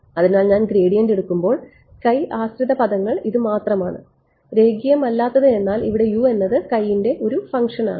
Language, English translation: Malayalam, So, when I take the gradient only the x dependent terms are this guy and non linear means over here U is a function of x